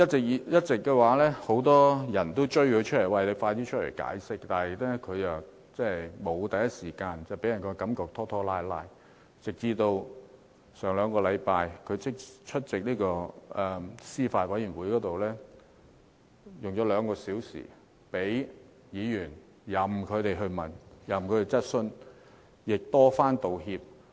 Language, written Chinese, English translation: Cantonese, 一直以來，很多人迫她出來解釋，但她沒有第一時間解釋，予人拖拖拉拉的感覺，直至上兩個星期，她才出席司法及法律事務委員會會議，花兩個多小時任由議員提問，並多番道歉。, Many people have all along forced her to come forward and give an explanation but she did not do so in the first instance thus giving people an impression that she was procrastinating . Only until two weeks ago did she attend a meeting of the Panel on Administration of Justice and Legal Services at which she spent some two hours taking questions from Members and she apologized time and again